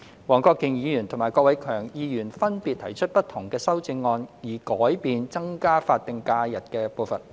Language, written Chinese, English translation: Cantonese, 黃國健議員及郭偉强議員分別提出不同的修正案，以改變增加法定假日的步伐。, Mr WONG Kwok - kin and Mr KWOK Wai - keung have proposed different amendments to change the pace of increasing the additional statutory holidays SHs